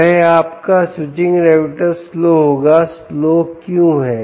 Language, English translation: Hindi, now why is the switching regulator slower